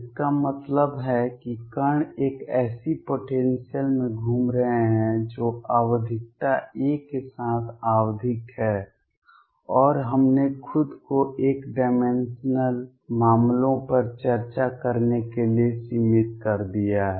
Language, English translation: Hindi, That means, the particles are moving in a potential which is periodic with periodicity a and we have confined ourselves to discussing one dimensional cases